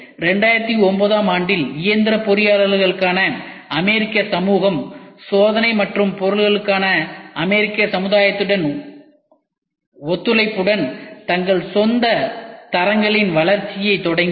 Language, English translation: Tamil, In 2009, the American society for mechanical engineers in cooperation with the American society for Testing and Materials started the development of their own standards